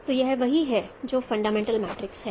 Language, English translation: Hindi, So this is what is the fundamental matrix